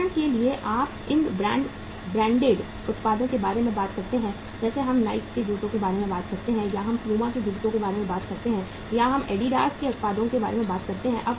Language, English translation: Hindi, For example you talk about these uh branded products like we talk about the say Nike shoes or we talk about the say uh Puma shoes or you talk about the Adidas products